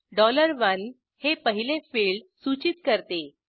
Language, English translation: Marathi, $1 would indicate the first field